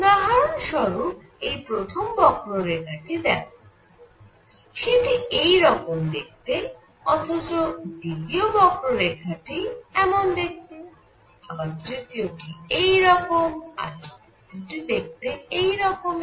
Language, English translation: Bengali, So, for example one curve looks like this, the second curve looks like this, third curve looks like this and the fourth curve looks like right here